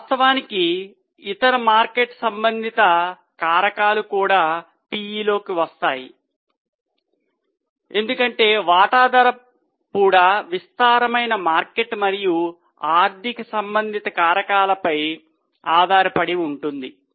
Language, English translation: Telugu, Of course there are other market related factors also which go into the P because the price of the share also depends on vast market and economic related factors